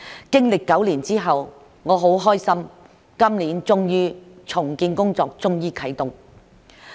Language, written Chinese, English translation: Cantonese, 經歷9年之後，我很開心今年終於啟動重建工作。, This problem has persisted for nine years and I am glad that the redevelopment work finally started this year